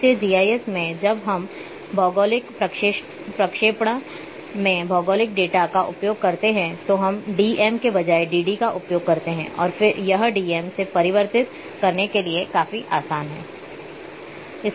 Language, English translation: Hindi, So, in GIS when we use the geographic data in geographic projection we use instead of d m s we use dd and it is it is quite easy to convert from from d m s